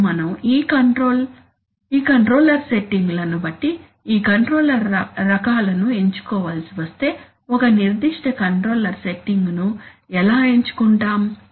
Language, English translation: Telugu, Now we come to the, if having selected these, this controller settings, these controller types, how do we select a particular controller setting